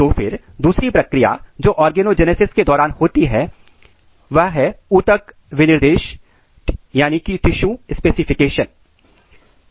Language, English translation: Hindi, Then second process what occurs during the organogenesis is the tissue specification